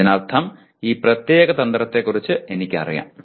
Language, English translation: Malayalam, That means I am aware of this particular strategy